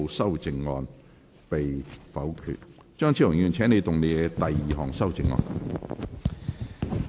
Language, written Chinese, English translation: Cantonese, 張超雄議員，請動議你的第二項修正案。, Dr Fernando CHEUNG you may move your second amendment